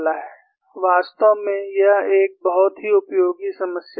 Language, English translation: Hindi, In fact, it is a very useful problem